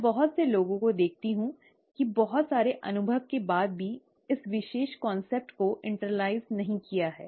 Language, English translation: Hindi, I see a lot of people even after lot of experience have not internalized this particular concept